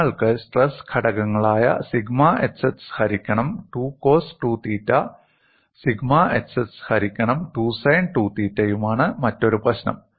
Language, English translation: Malayalam, That loading we have seen the other problem is you have the stress components sigma xx by 2 coos 2 theta, and sigma xx by 2 sin 2 theta